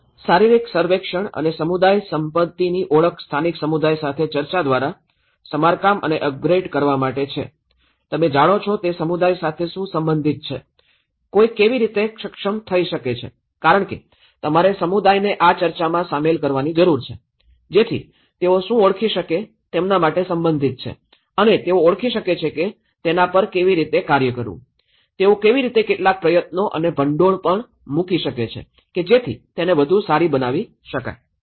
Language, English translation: Gujarati, Physical survey and identification of community assets to be repaired and upgraded through discussion with local community, what is relevant to the community you know, how one can able to because you need to engage the community in this discussion, so that, they can identify what is relevant to them and they can identify how to work on it, how they can even put some efforts and funds possibly to make it better